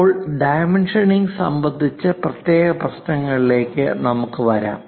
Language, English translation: Malayalam, Now, we will come to special issues on dimensioning